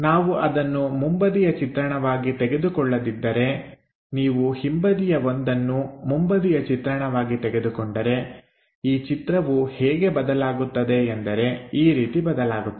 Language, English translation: Kannada, If we are not picking that one as the front view, but if you are picking this back side one as the front view, the way figure will turns out to be in this way